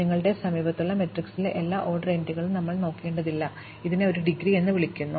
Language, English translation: Malayalam, We do not have to look at all the vertices all of order n entries in the adjacency matrix, this is called the degree